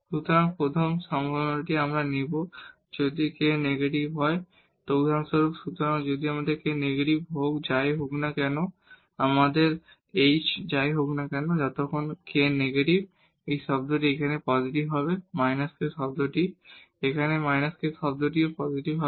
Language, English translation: Bengali, So, first possibility we will take that if this k is negative for example, So, if k is negative irrespective of whatever our h is, so as long as this k is negative, this term will be positive here minus k term, here also minus k term will be positive